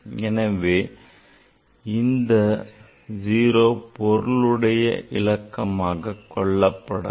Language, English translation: Tamil, So, this 0 will not be counted as a significant figure